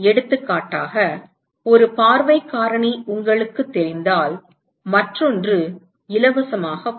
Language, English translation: Tamil, For example, if you know one view factor the other one comes for free